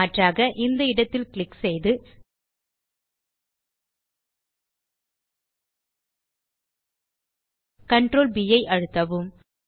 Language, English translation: Tamil, Alternately, click at the point, press Ctrl +B